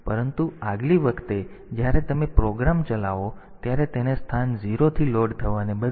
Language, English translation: Gujarati, But next time instead of the next time you run the program, instead of being loaded from location 0